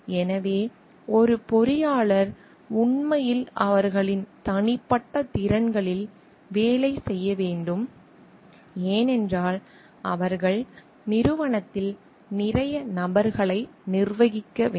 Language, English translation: Tamil, So, an engineer s really have to work on their interpersonal skills, because they have to manage lot of people in the organization